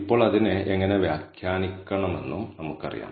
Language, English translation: Malayalam, We also know how to interpret it now